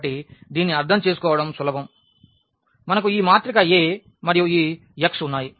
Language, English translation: Telugu, So, this is easy to understand so, we have this matrix A and this x